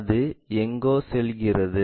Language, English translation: Tamil, It goes somewhere